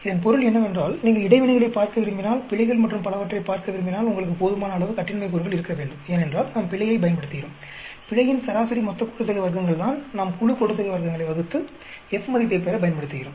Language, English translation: Tamil, It means that replication is very very essential if you want to look at interactions, if you want to look at errors and so on, because you need to have sufficient degrees of freedom, because error is what we use, the mean sum of squares of error is what we use for dividing the group sum of squares to get the F value